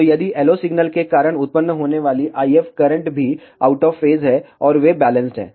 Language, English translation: Hindi, So, the IF currents that are produced because of the LO signal are also out of phase, and they are balanced out